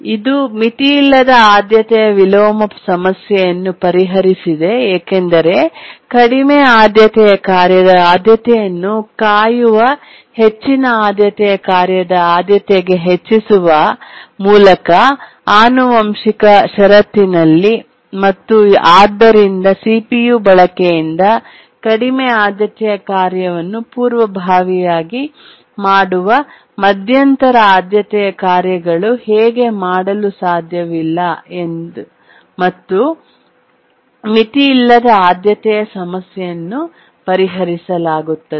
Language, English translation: Kannada, It solved the unbounded priority inversion problem because in the inheritance clause the priority of the low priority task is raised to the priority of the high task that is waiting, high priority task that is waiting and therefore the intermediate priority tasks that were preempting the low priority task from CPU users cannot do so and therefore the unbounded priority problem is solved